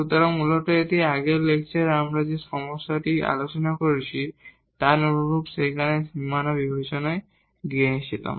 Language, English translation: Bengali, So, basically this is similar to the problem we have discussed in the previous lecture where, we had taken the boundaries into the consideration